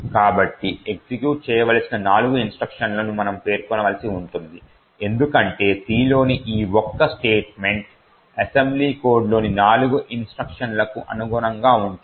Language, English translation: Telugu, So, we had to specify four instructions to be executed because this single statement in C corresponds to four instructions in the assembly code